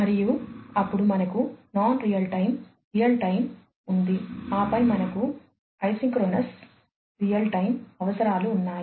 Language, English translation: Telugu, And, then we have so, we have the non real time real time, and then we have the isochronous real time requirements